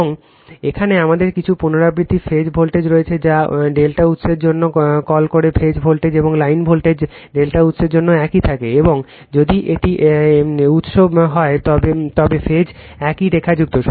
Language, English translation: Bengali, And here we have repeat phase voltage your what you call for delta source, phase voltage and line voltage remain same for delta source and in if it is a delta source is phase are lined same